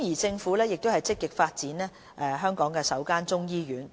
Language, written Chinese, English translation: Cantonese, 政府正積極發展香港首間中醫醫院。, The Government is actively developing the first Chinese medicine hospital in Hong Kong